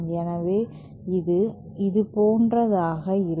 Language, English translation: Tamil, So, it will be something like this